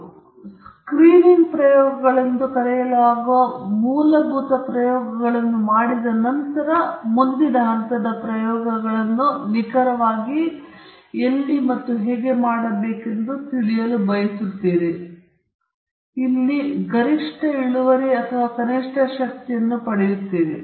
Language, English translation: Kannada, So once you have done a basic set of experiments called as Screening Experiments, you want to know where exactly you should do the next set of experiments so that you get the maximum yield or minimum power